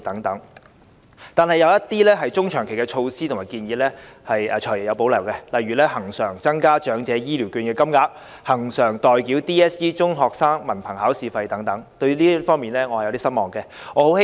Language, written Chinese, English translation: Cantonese, 可是，對於一些中長期措施和建議，例如我們要求恆常增加長者醫療券金額、恆常代繳 DSE 費用等，"財爺"則表示有所保留，令我感到有些失望。, However as for some medium - and long - term measures and proposals such as our request for increasing the amount of Elderly Health Care Voucher and paying DSE examination fees for candidates on a regular basis the Financial Secretary expresses his reservation . I am somewhat disappointed